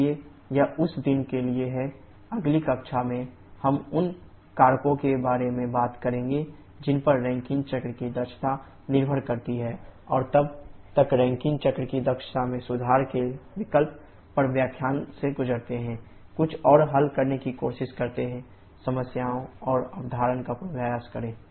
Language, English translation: Hindi, So that is it for the day, next class we shall we talking about the factors on which the efficiency of Rankine cycle depends and then the options of improving the efficiency of Rankine cycle till then, go through this lecture, try to solve a few more problems and rehearse the concept